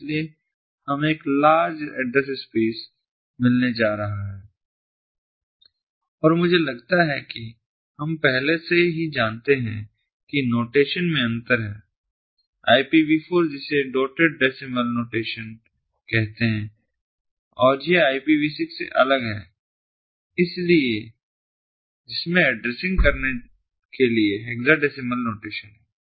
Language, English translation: Hindi, so we are going to get a large address space and i, i think we already know that there is a difference in the notation in ipv four, which is a dotted decimal notation, and it differs from the ipv six which has a hexadecimal notation for addressing